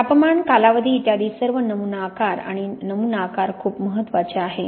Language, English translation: Marathi, The temperature, duration etc, most of all the sample size, and the sample size is very important